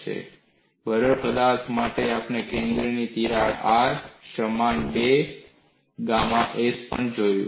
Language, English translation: Gujarati, And for brittle materials, we have looked at for the center of crack R equal to 2 gamma s